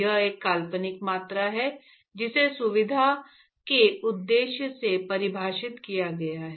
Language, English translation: Hindi, It is a fictitious quantity, which is defined for convenience purposes